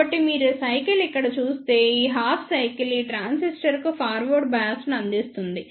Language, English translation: Telugu, So, if you see here this cycle this half cycle will provide the forward bias to this transistor